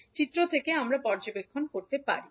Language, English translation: Bengali, Now from the figure what we can observe